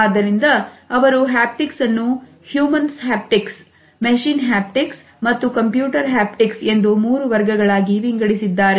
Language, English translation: Kannada, So, he has subdivided haptics into three subcategories Human Haptics, Machine Haptics and Computer Haptics